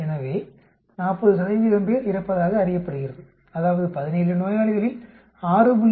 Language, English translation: Tamil, So 40 percent are known to die that means, 17 patients we expect 6